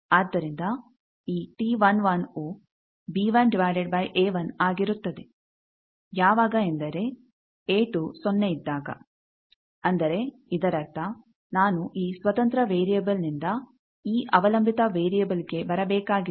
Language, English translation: Kannada, So, this T 11 will be b 1 by a 1 when a 2 is equal to 0; that means, this I side match then how much you are getting